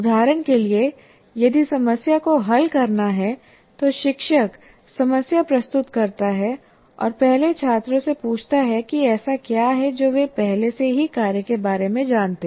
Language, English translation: Hindi, For example, if a problem is to be solved, presents the problem, and first ask the students what is that they already know about the task